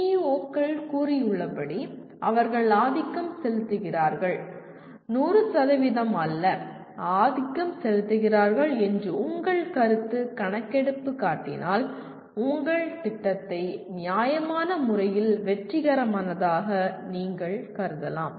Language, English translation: Tamil, And if your feedback shows that they are dominantly, not 100%, dominantly are involved in activities as stated by PEOs then you can consider your program to be reasonably successful